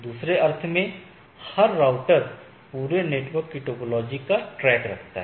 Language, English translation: Hindi, So, in other sense the every router keep track of the topology of the whole network right